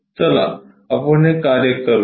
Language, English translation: Marathi, Let us work it out